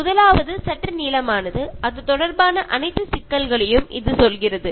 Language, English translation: Tamil, The first one is little bit longer, it tells about all issues related to that